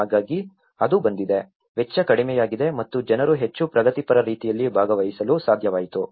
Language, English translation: Kannada, So, in that way, it has come, the cost has come down and people were able to participate in much progressive way